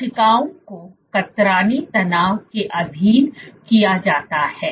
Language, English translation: Hindi, The cells are subjected to shear stresses